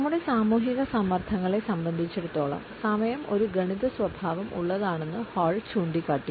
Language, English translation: Malayalam, Hall has also pointed out that time can be an arithmetic characteristic as far as our social pressures are concerned